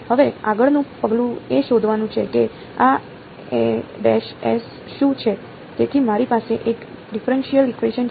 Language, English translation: Gujarati, Now the next step is to find out what are these a’s right, so I have a differential equation